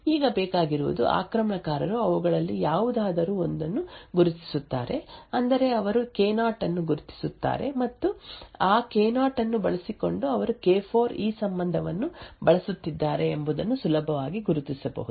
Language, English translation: Kannada, Now all that is required is the attacker identifies any one of them that is let us say he identifies K0 and using that K0 he can easily identify what K4 is using this relationship